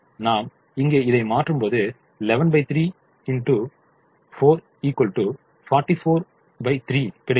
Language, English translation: Tamil, when i substitute here, eleven by three into four is forty four by three